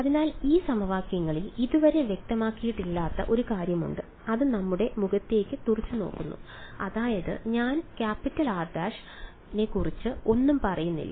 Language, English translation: Malayalam, So, in these equation there is one thing that is yet not been specified and that is staring at us in the face which is I did not say anything about r prime right